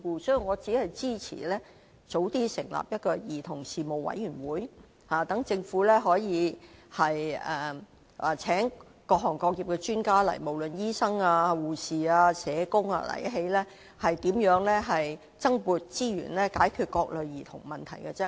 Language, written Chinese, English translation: Cantonese, 所以，我只支持及早成立一個兒童事務委員會，讓政府可以邀請各行各業的專家來立法會，無論是醫生、護士或社工，研究如何增撥資源，解決各類兒童問題。, Hence I will only support the early establishment of a children commission so that the Government may invite experts from various sectors be they doctors nurses or social workers to come to the Legislative Council to examine ways for securing additional resources to address all kinds of problems concerning children